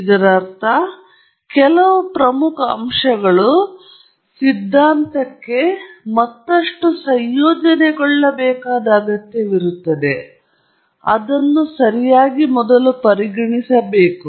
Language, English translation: Kannada, It means, either some major aspect that needs to be further incorporated into the theory before it can be considered correct